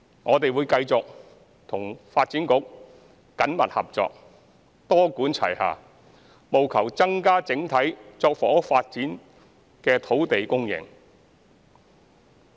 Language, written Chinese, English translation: Cantonese, 我們會繼續與發展局緊密合作，多管齊下，務求增加整體作房屋發展的土地供應。, We will continue to work closely with the Development Bureau and adopt a multi - pronged approach to increase the overall supply of land for housing development